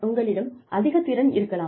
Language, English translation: Tamil, You may be very skilled